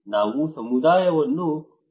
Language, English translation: Kannada, We have to involve community